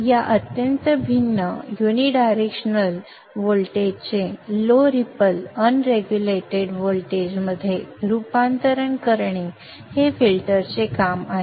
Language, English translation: Marathi, The job of the filter is to transform this highly varying unidirectional voltage into a low ripple unregulated voltage